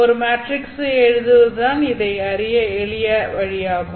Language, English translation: Tamil, The easiest way to solve this one is to write down a matrix